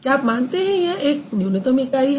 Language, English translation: Hindi, is going to be a minimal unit